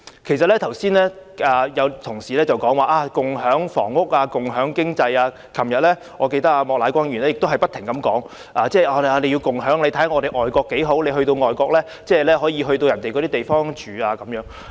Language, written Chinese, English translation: Cantonese, 剛才有同事談及共享房屋、共享經濟，我記得莫乃光議員昨天也不斷提及共享，並以外國的情況為例，指旅客可以入住當地的民宅。, Earlier some colleagues spoke about shared housing and sharing economy and yesterday as I remember Mr Charles Peter MOK also repeatedly mentioned the idea of sharing and cited overseas cases where tourists can stay in local residential places as examples